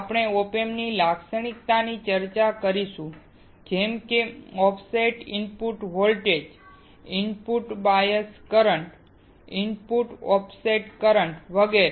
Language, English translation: Gujarati, We will also discuss the the characteristics of op amp like offset input voltage, input bias current, input offset current etc